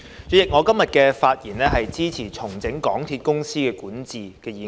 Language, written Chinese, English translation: Cantonese, 主席，我今天發言支持"重整港鐵公司管治"的議案。, President I rise to speak in support of the motion on Restructuring the governance of MTR Corporation Limited today